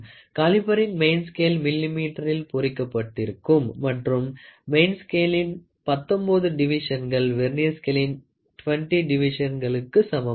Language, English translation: Tamil, The main scale of a Vernier caliper is calibrated in millimeter and 19 divisions of the main scale are equal to 20 divisions of the Vernier scale